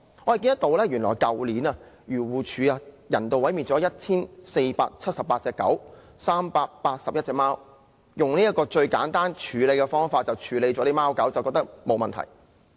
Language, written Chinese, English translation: Cantonese, 我們看到原來漁護署去年人道毀滅了 1,478 隻狗和381隻貓，漁護署覺得用這種最簡單的方法處理貓狗沒有問題。, We can see that last year 1 478 dogs and 381 cats were euthanized by AFCD which considers using this simplistic method to handle cats and dogs just fine